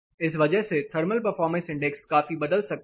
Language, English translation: Hindi, Because of this thermal performance index might considerably vary